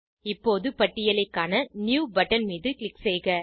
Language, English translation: Tamil, Now, click on New button to view the list